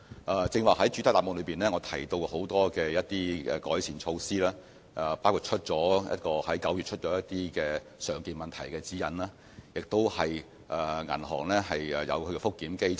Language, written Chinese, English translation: Cantonese, 我剛才在主體答覆提到多項改善措施，包括在去年9月發出的"常見問題指引"，以及銀行設立的覆檢機制。, I have mentioned a number of improvement measures in the main reply including the guidelines issued in the form of Frequently Asked Questions in last September and the review mechanisms set up by banks